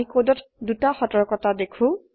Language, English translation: Assamese, We see 2 warnings in the code